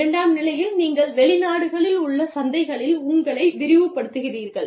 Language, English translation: Tamil, Stage two, you expand your market, to include foreign countries